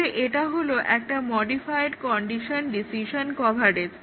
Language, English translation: Bengali, So, this is a modified condition decision coverage